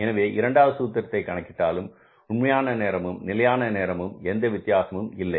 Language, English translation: Tamil, So, we applied the second formula because there is no difference in the actual time at standard time